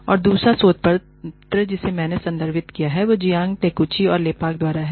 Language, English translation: Hindi, And, the other paper, that I have referred to is, by Jiang Takeuchi and Lepak